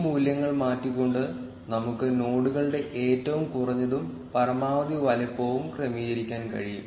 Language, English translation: Malayalam, We can adjust the minimum and the maximum size of the nodes by changing these values